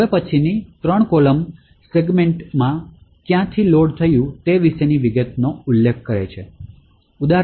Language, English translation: Gujarati, Now these three columns specify details about from where the segment was actually loaded from